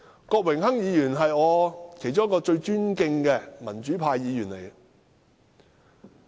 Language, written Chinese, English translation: Cantonese, 郭榮鏗議員是我最尊敬的民主派議員之一。, Mr Dennis KWOK is one of the pro - democracy Members whom I greatly respect